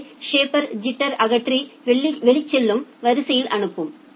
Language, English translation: Tamil, So, the shaper will remove the jitter and send it to the outgoing queue